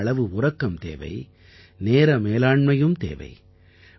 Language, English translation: Tamil, Get adequate sleep and be mindful of time management